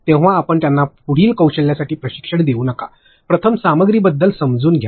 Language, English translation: Marathi, Then you do not train them for further skills, first get an understanding of the content itself